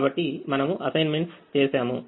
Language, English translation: Telugu, we have made assignments